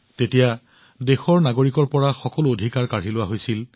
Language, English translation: Assamese, In that, all the rights were taken away from the citizens of the country